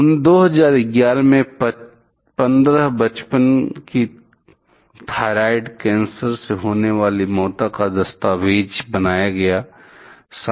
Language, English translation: Hindi, An excess of 15 childhood thyroid cancer deaths has been documented as of 2011